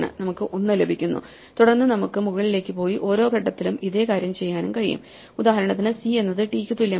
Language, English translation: Malayalam, So, we get 1 and then we can walk up and do the same thing at every point we will say that if c is not the same as t